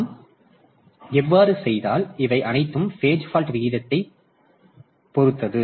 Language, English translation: Tamil, Now if we so it all depends on the page fault rate p